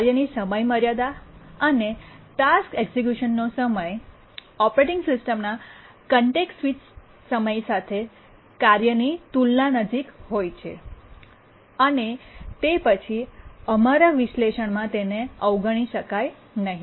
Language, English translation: Gujarati, So, when we are task deadlines and the task execution time so close, so comparable to the task, to the context switch times of the operating system, we cannot really ignore them in our analysis